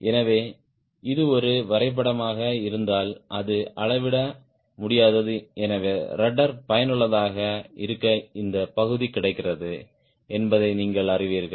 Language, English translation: Tamil, so if this is a diagram which is not to scale, so you know, this much portion is available from the rudder to be effective